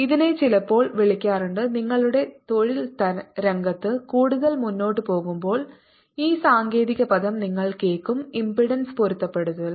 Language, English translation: Malayalam, this is what is sometimes called and you'll hear this technical term as you move further in your profession is impedance matching